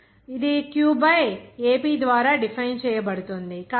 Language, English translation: Telugu, So, it will be defined by Q by Ap